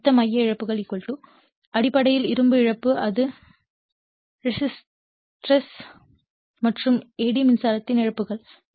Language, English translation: Tamil, So, total core losses = basically iron loss is this is the hysteresis and eddy current losses